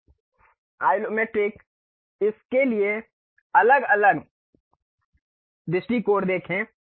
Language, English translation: Hindi, Now, let us look at different views for this, the Isometric